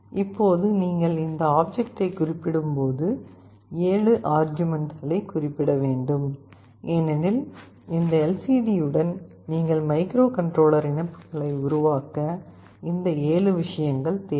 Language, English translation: Tamil, Now when you specify this object, 7 arguments have to be specified, because you see with this LCD you have to make some connections with the microcontroller, these 7 things are required to make the connections